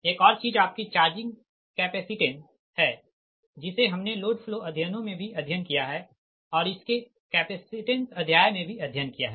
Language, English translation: Hindi, another thing is the charging, your charging capacitance right that we have studied in your load flow studies also right and its a capacitance chapter also